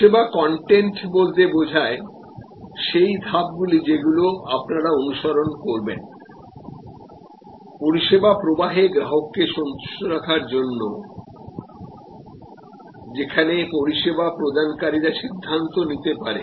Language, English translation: Bengali, Service content will be steps that are followed to serve the customer points in the process, where the service provider employ may have to make decisions